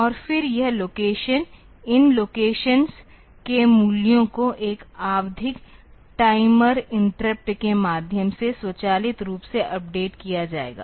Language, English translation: Hindi, And then this location; the values of these locations will be updated automatically through a periodic timer interrupt